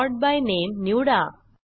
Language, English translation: Marathi, Select Sort By Name